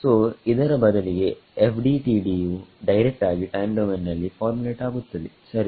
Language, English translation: Kannada, So, instead this FDTD is directly formulated in the time domain ok